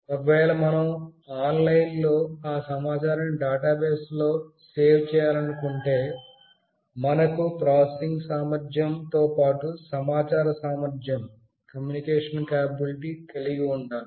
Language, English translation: Telugu, If we want to save that into a database which is online, we need to have some communication capability along with the processing capability that it has got